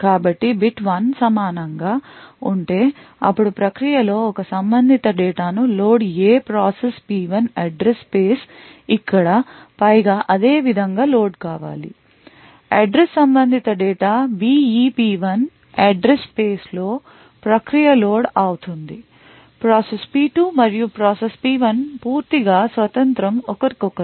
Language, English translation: Telugu, So if the bit equal to 1 then load the data corresponding to A in the process P1 address space gets loaded similarly over here the data corresponding to this address B in the P1 address space is loaded note that process P2 and process P1 are totally independent of each other